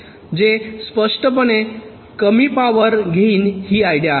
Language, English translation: Marathi, that will obviously consume less power